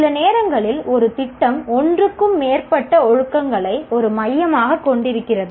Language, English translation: Tamil, Sometimes a program may have more than one discipline as the core